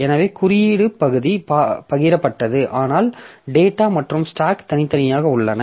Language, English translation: Tamil, So, code part is shared but data and stack are separate